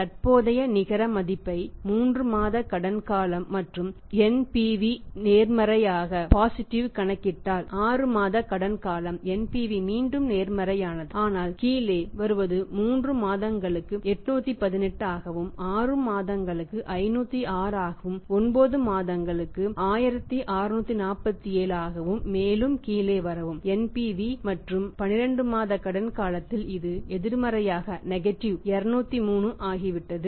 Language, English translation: Tamil, If you calculate the net present value that way for 3 months credit period and NPV is positive, six months credit period NPV again positive but coming down it was 818 for 3 months, 6 months it is 506 and 9 months it is 1647 further come down NPV and at 12 months credit period it has become negative 203